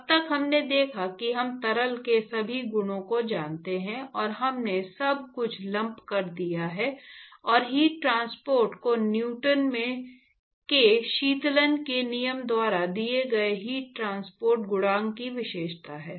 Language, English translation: Hindi, So, so far what we looked at is we assumed we knew all the properties of the liquid, and we lumped everything and we said heat transport is characterized by the heat transport coefficient given by Newton’s law of cooling right